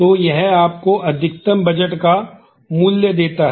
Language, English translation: Hindi, So, this gives you the value of the maximum budget